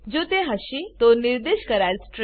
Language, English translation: Gujarati, If it is, it will print out the specified string